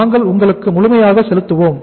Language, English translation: Tamil, We will pay you the in full